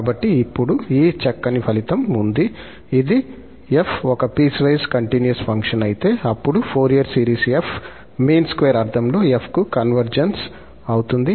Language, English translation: Telugu, So, now, we have this nice result that if f be a piecewise continuous function, then the Fourier series of f converges to f in the mean square sense